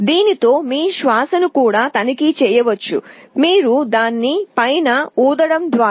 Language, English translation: Telugu, It can also check your breath; you can exhale on top of it